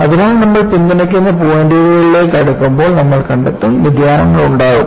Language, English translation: Malayalam, So, when you go closer to the supporting points, you will find, there would be deviations